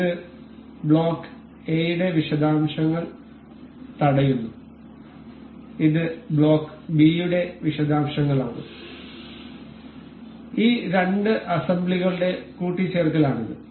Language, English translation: Malayalam, This is block A details of block A, this is details of block B and this is the mating history of these the two assembly